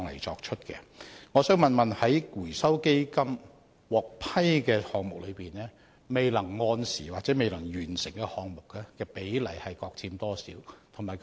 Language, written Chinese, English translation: Cantonese, 主席，請問在獲基金資助的項目中，未能按時完成甚或未能完成的項目比例各佔多少呢？, President referring to all the projects supported by the Fund can I know the respective proportions of projects which could not be completed as scheduled and which eventually fell flat?